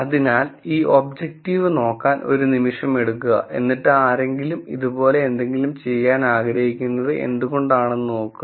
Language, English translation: Malayalam, So, take a minute to look at this objective and then see why someone might want to do something like this